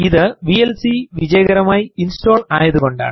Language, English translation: Malayalam, This means vlc has been successfully installed